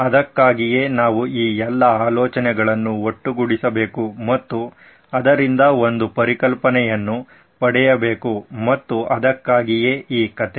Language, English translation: Kannada, So that’s why we need to sort of put all these ideas together and get a concept out of it and that’s why this story